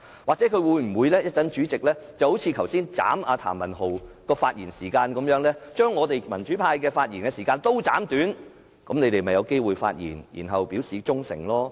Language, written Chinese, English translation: Cantonese, 或者主席可以像剛才縮減譚文豪議員發言時間一樣，將民主派議員的發言時間全部縮短，那麼建制派議員便有機會可以發言，表示他們的忠誠。, Perhaps the President can cut the speaking time of all pro - democracy Members just like what he has done earlier to Mr Jeremy TAMs speaking time so that pro - establishment Members will have the chance to speak and show their loyalty